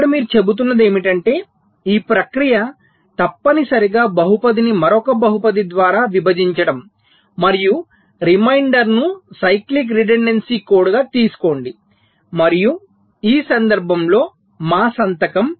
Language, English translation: Telugu, so here you are saying is that the process is essentially one of dividing a polynomial by another polynomial, and take the reminder that that will be the cyclic redundancy code and in in this case, our signature